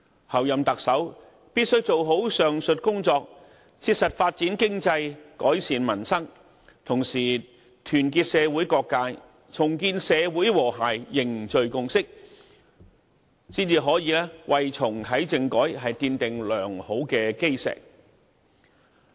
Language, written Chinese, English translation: Cantonese, 候任特首必須做好上述工作，切實發展經濟、改善民生，同時團結社會各界，重建社會和諧，凝聚共識，才可以為重啟政改奠定良好的基石。, The Chief Executive designate must aptly handle the above develop the economy practically improve peoples livelihood and at the same time unite various sectors in society rebuild social harmony and create consensus in order to lay a good foundation for reactivating the constitutional reform